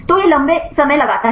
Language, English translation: Hindi, So, it takes long time right